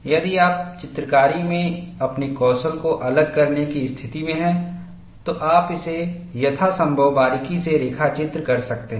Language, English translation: Hindi, If you are in a position to extrapolate your skills in drawing, you could also sketch this as closely as possible